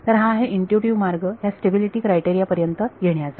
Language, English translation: Marathi, So, this is the intuitive way of arriving at this stability criteria